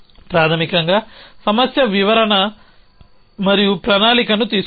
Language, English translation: Telugu, Basically takes a problem description and a plan